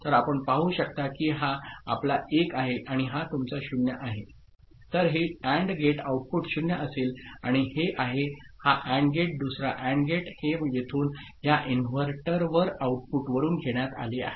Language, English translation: Marathi, So you can see that this is your 1 and this is your 0 so, this AND gate output will be 0 and this is this AND gate, the other AND gate it is taken from here this inverter output